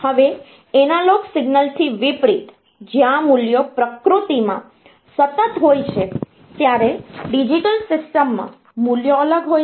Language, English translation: Gujarati, Now, unlike analog signal, where the values are continuous in nature; in digital system the values are discrete